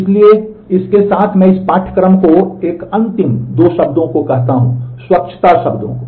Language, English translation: Hindi, So, with that I conclude this course a couple of final words the hygiene words